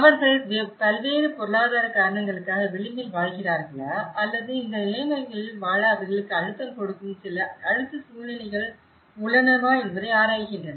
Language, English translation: Tamil, Whether, they are living on the edge for various economic reasons or there are certain pressurized situations that are challenging them, probing them to live in these conditions